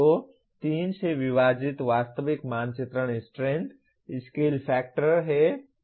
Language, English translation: Hindi, So the actual mapping strength divided by 3 is the scale factor